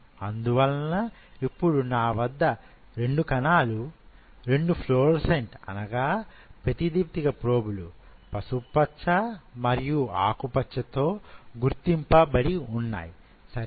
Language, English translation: Telugu, So now I have 2 cells which are now labeled with 2 fluorescent probes, yellow and the green, right